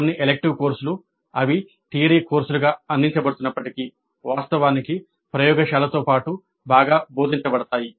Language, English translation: Telugu, Some of the elective courses, even though they are offered as theory courses, are actually better taught along with the laboratory